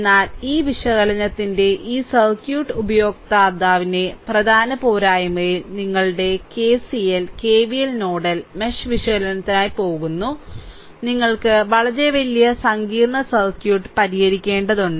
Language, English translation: Malayalam, But, in major drawback of this circuit user of this analysis your KC, your KCL, KVL there we are going for nodal and mesh analysis right, you have to a this thing you have to solve very large complex circuit right